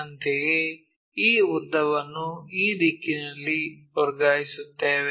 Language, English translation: Kannada, Similarly, transfer this length in this direction